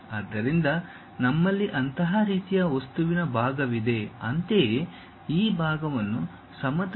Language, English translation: Kannada, So, we have such kind of material and this part; similarly a background this part is not sliced by the plane